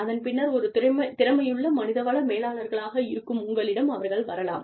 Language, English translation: Tamil, They could come to you, in your capacity as human resources managers